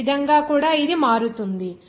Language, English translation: Telugu, In this way also it will be varied